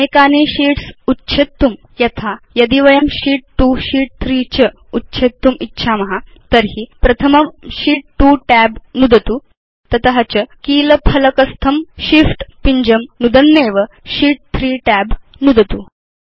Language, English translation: Sanskrit, In order to delete multiple sheets, for example, if we want to delete Sheet 2 and Sheet 3 then click on the Sheet 2 tab first and then holding the Shift button on the keyboard, click on the Sheet 3tab